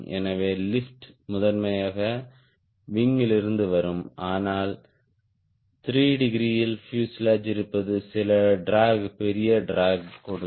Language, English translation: Tamil, so lift will primarily come from the wing but fuselage, being at three degree will also give some drag, larger drag